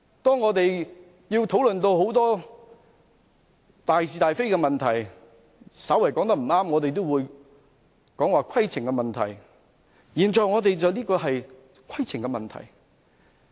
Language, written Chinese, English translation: Cantonese, 當議員討論很多大是大非的問題時稍欠妥當，我們也會提出規程問題，我們現在討論的正是規程問題。, When Members act improperly in a discussion about many cardinal issues of right and wrong we will also raise a point of order . What we are discussing now is precisely a point of order